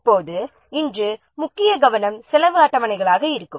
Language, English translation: Tamil, Now today the main focus will be the cost schedules